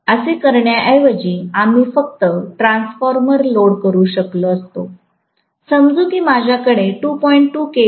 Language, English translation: Marathi, Rather than doing this, we could have simply loaded the transformer, let us say I have a 2